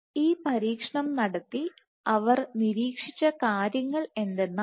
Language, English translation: Malayalam, So, what they observed by doing this experiment